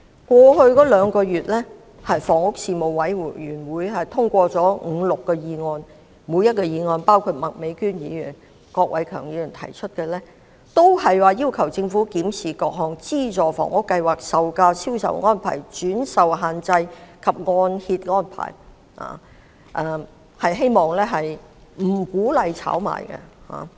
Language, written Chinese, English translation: Cantonese, 過去兩月，房屋事務委員會通過了五六項議案——包括麥美娟議員及郭偉强議員提出的議案——每一項均要求政府檢視各項資助房屋計劃、樓價、銷售安排、轉售限制及按揭安排，希望政府不要鼓勵市民炒賣。, The Panel on Housing has passed five to six motions over the past two months―including the motions moved by Miss Alice MAK and Mr KWOK Wai - keung . Each motion urges the Government to review various subsidized housing schemes property prices sale arrangements resale restrictions and mortgage arrangements with the hope that the Government will not encourage members of the public to engage in speculation